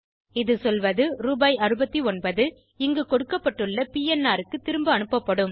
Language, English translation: Tamil, It says that, Rs.69 will be refunded for the PNR given here